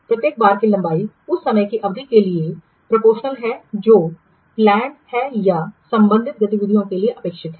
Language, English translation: Hindi, The length of each bar is proportional to the duration of the time that is planned or expected for the corresponding activity